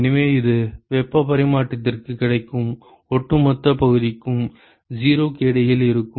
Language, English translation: Tamil, And so, this will be between 0 to the overall area which is available for heat transfer ok